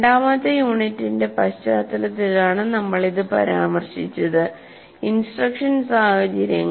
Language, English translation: Malayalam, And we mentioned this in the context of our second unit itself, what you call instructional situations